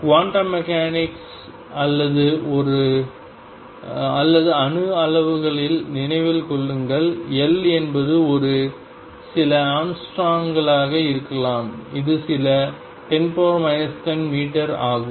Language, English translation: Tamil, Remember in quantum mechanics or in atomic quantities L is of the order of may be a few young storms which is few 10 raise to minus 10 meters